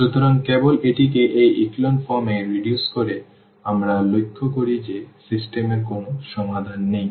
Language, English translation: Bengali, So, by just reducing it to this echelon form we observe that the solution has knows that the system has no solution